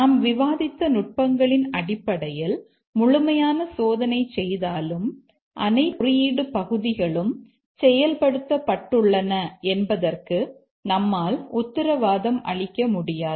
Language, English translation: Tamil, And also even if we do a thorough testing based on the techniques that we discussed, we cannot guarantee that all code parts have been executed